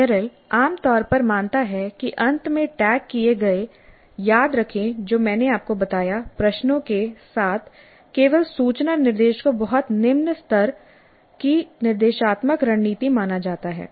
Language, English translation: Hindi, And Merrill generally believes that information only instruction with remember what I told you questions at the end, tagged at the end is considered as a very low level instructional strategy